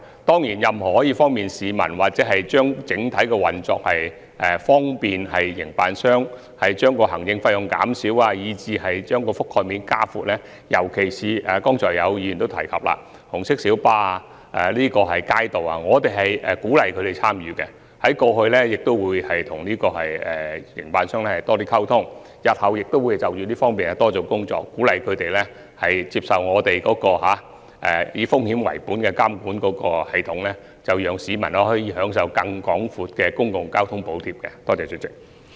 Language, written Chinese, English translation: Cantonese, 當然，對於任何可以便利市民的安排、改善整體運作以便利營辦商降低行政費用、把覆蓋面加闊，以至鼓勵尤其是議員剛才提及的紅巴及街渡參與其中等問題，我們過去已和有關營辦商溝通，日後亦會就這方面多做工作，鼓勵他們接受我們以風險為本的監管系統，讓市民可以享受更廣闊的公共交通補貼。, Certainly on the question of formulating convenient arrangements for the public improving the overall operation to facilitate a reduction in operators administrative costs expanding the coverage and also encouraging the participation of RMBs and Kaitos mentioned particularly by the Honourable Member just now we have liaised with the relevant operators over all this time and we will step up our efforts in this regard in the days to come in a bid to encourage them to accept our risk - based monitoring system and enable people to enjoy public transport subsidies with a wider coverage